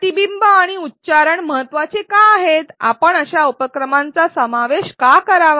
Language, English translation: Marathi, Why are reflection and articulation important, why should we include such activities